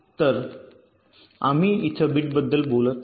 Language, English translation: Marathi, so we are talking of the ith bit